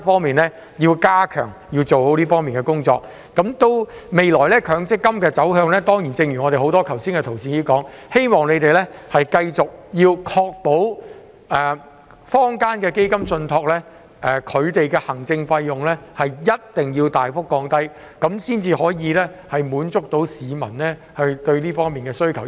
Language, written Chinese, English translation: Cantonese, 至於強積金的未來走向，誠如剛才多位同事所說，希望政府會繼續確保坊間的基金受託人的行政費用必須大幅降低，這樣才可以回應市民的訴求。, As for the way forward for MPF as many colleagues have said just now I hope the Government will continue to ensure that the administration fees of trustees will be lowered extensively so as to respond to the demands of the public